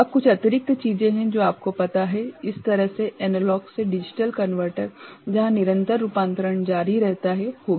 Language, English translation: Hindi, Now, there are certain additional things that goes into this kind of you know, analog to digital converter where continues conversion is employed